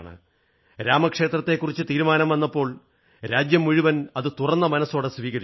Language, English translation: Malayalam, When the verdict on Ram Mandir was pronounced, the entire country embraced it with open arms